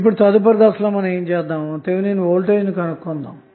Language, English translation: Telugu, Now next step is finding out the value of Thevenin Voltage